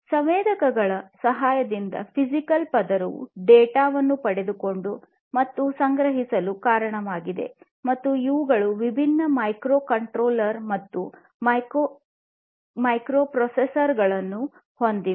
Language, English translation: Kannada, So, as I was telling you the physical layer is responsible for collecting and acquiring data with the help of sensors and these are also equipped with different microcontrollers, microprocessors, and so on